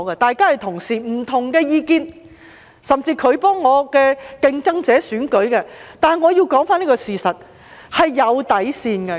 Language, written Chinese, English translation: Cantonese, 大家是同事，有不同的意見，他甚至替我的競爭者助選，但我要說出一個事實，是有底線的。, We as colleagues may have different views and he has even engaged in electioneering activities of my opponents yet I have to state the fact that there is a bottom line